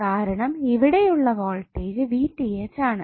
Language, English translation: Malayalam, That is voltage and current